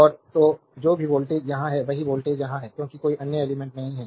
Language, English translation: Hindi, So, plus minus and so, whatever voltage is here same voltage is here because no other element